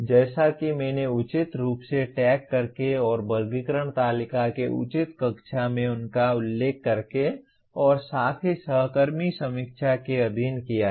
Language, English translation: Hindi, As I mentioned by properly tagging and locating them in the proper cells of the taxonomy table and subjected to peer review as well